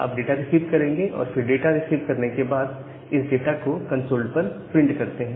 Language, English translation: Hindi, So, you will receive that data and after receiving that data you print that particular data at the concept